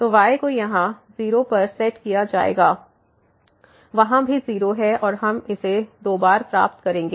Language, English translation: Hindi, So, will be set here 0; there also 0 and we will get this 2 times